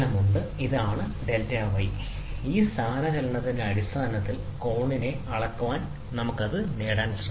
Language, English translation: Malayalam, So, this is the delta y, which is used to measure the angle in terms of displacement, we can try to get it